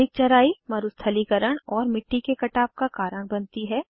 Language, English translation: Hindi, Overgrazing leads to desertification and soil erosion